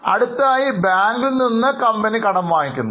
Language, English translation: Malayalam, Now next what company has done is, company borrows from bank